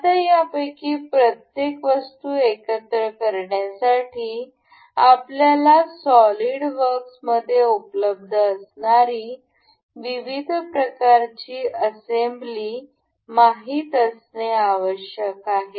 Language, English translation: Marathi, Now, to assemble each of these items into one another, we need to know different kinds of assembly that that are available in the solidworks